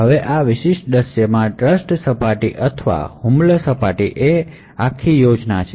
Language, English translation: Gujarati, Now the trust surface or the attack surface in this particular scenario is this entire scheme